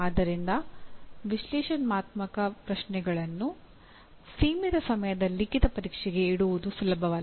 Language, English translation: Kannada, So it is not easy to put analyze questions right into limited time written examination